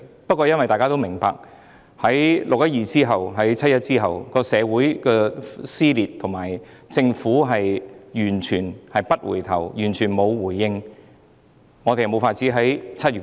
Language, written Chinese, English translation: Cantonese, 不過，大家也明白，在"六一二"及"七一"後，社會撕裂及政府完全不回應，所以我們無法在7月討論。, However we understand that after the 12 June and 1 July incidents the community has been torn apart and the Government has become unresponsive thus no discussion could be held in July